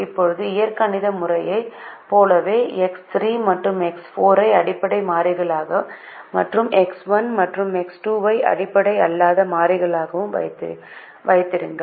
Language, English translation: Tamil, now, just like in the algebraic method, it is easy to begin with x three and x four as the basic variables and keep x one and x two as a the non basic variables